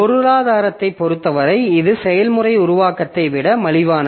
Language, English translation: Tamil, So, as far as the economy is concerned, so it is cheaper than process creation